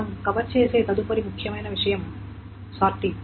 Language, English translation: Telugu, Next important thing that we will cover is sorting